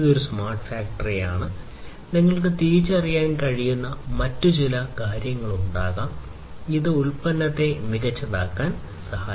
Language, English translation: Malayalam, So, this is a smart factory and there are there could be few other things that you might be also able to identify, which can help in making the product smarter